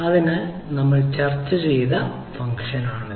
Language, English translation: Malayalam, so this is the function, what we have discussed